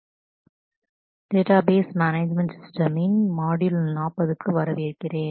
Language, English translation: Tamil, Welcome to module 40 of Database Management Systems